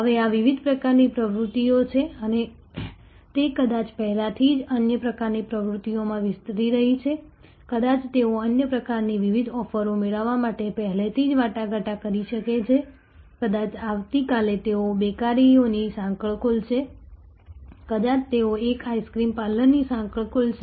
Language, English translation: Gujarati, Now, these are different types of activities and they might be already expanding into other types of activities, they may be already a negotiation to acquire different other types of offerings, maybe tomorrow they will open a chain of bakeries, may be they will open a chain of ice cream parlours